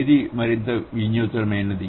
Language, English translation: Telugu, Which one is more innovative